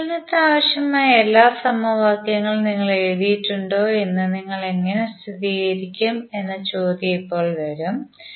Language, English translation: Malayalam, Now the question would come how you will verify whether you have written the all the equations which are required for the analysis